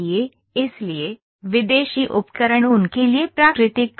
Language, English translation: Hindi, So, foreign tools field natural to them